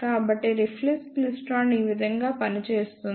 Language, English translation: Telugu, So, this is how the reflex klystron works